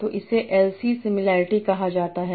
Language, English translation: Hindi, So this is called LC similarity